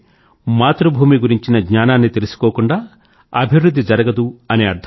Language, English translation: Telugu, That means, no progress is possible without the knowledge of one's mother tongue